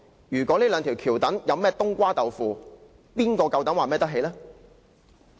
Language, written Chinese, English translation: Cantonese, 如果這兩條橋躉有甚麼"冬瓜豆腐"，誰有膽量說可以完全負責？, If anything goes wrong with the two viaduct piers who will have the confidence to take full responsibility?